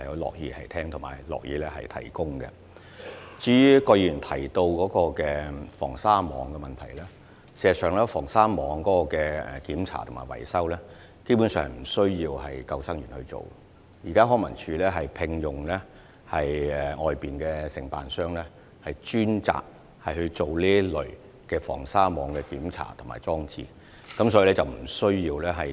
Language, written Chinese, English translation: Cantonese, 至於葛議員提到的防鯊網問題，事實上，防鯊網的檢查及維修工作基本上不需要由救生員處理，現時康文署已聘用外間承辦商專責處理防鯊網的檢查及裝置。, As for the part relating to shark prevention nets mentioned by Dr QUAT basically lifeguards are not responsible for repairing and maintaining shark prevention nets . Currently LCSD has commissioned an external contractor to be responsible for the checking and installation of shark prevention nets specifically